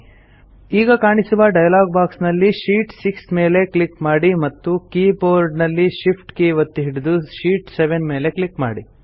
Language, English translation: Kannada, In the dialog box which appears, click on the Sheet 6 option and then holding the Shift button on the keyboard, click on the Sheet 7 option